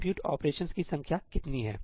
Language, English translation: Hindi, What is the number of compute operations